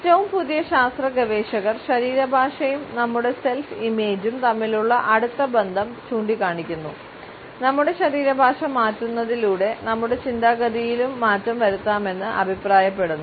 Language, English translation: Malayalam, Latest scientific researchers have pointed out a close connection between the body language and our self image, suggesting that by changing our body language we can also change our thinking